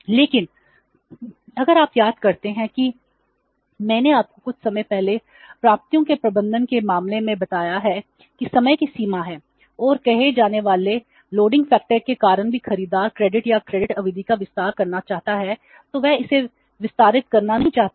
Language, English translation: Hindi, But if you recall I have told you some time back in case of the receivables management that there is a limitation of time and because of the say loading factor even the buyer wants to extend the credit or credit period he cannot